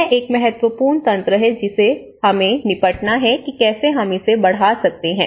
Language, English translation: Hindi, So, this is an important mechanism we have to tackle, how to, we can scale it up